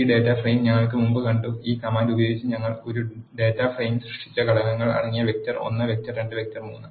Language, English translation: Malayalam, We have seen this data frame earlier we have vector 1, vector 2, vector 3 containing the elements in them we have created a data frame using this command